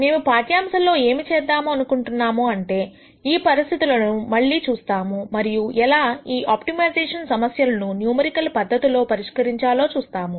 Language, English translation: Telugu, What we are going to do in this lecture is to look at the same conditions and show how you can numerically solve these optimization problems